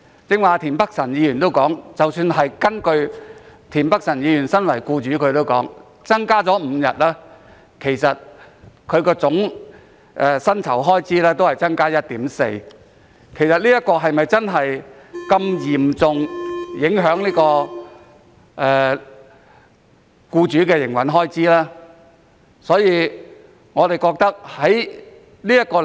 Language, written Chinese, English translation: Cantonese, 即使身為僱主的田北辰議員剛才亦表示，如果增加5天假期，總薪酬開支只會增加 1.4%， 是否真的會嚴重影響僱主的營運開支呢？, Even Mr Michael TIEN who is an employer has just said that increasing five additional holidays would only drive up the total salary expenditure by 1.4 % . Will this really have a serious impact on the operating expenses of employers?